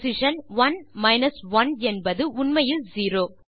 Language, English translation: Tamil, So, position one minus one is infact zero